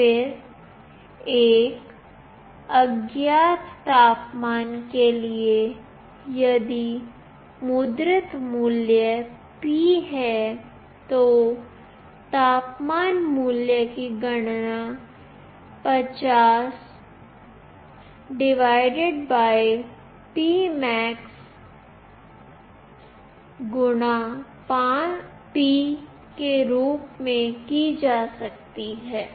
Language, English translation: Hindi, Then for an unknown temperature, if the value printed is P, then the temperature value can be calculated as 50 / P max * P